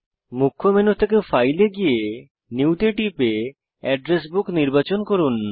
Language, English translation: Bengali, From the Main menu, go to File, click New and select Address Book